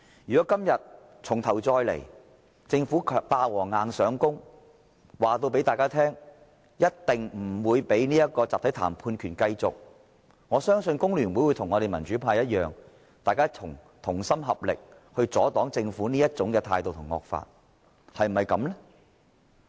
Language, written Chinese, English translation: Cantonese, 如果今天重頭再來，政府"霸王硬上弓"，告訴大家一定不讓工人有集體談判權，我相信工聯會會與我們民主派同心合力阻擋政府這種態度和惡法，是否這樣呢？, If the same should happen again today and the Government is going to bulldoze its proposal through this Council telling us that there is definitely no way for workers to have the right to collective bargaining I believe FTU would join us in the pro - democracy camp and work with us to resist this attitude and this draconian law of the Government would they not?